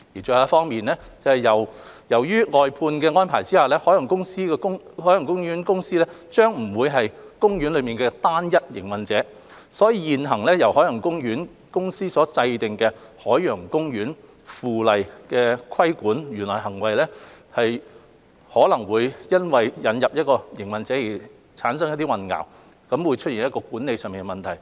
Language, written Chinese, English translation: Cantonese, 最後，由於在外判安排下，海洋公園公司將不再是海洋公園的單一營運者，所以現行由海洋公園公司制定的《海洋公園附例》規管園內行為，可能會因為引入營運者而產生混淆，出現管理上的問題。, Lastly since OPC will no longer be the sole operator under the outsourcing arrangement it may create confusion when the existing Ocean Park Bylaw the Bylaw enacted by OPC is used to regulate conduct in the park due to the introduction of other operators thereby causing management problems